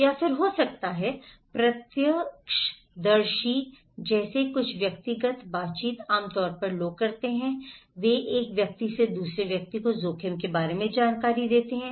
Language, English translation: Hindi, Or maybe, some personal interactions like eyewitness people generally do, they pass the informations about risk from one person to another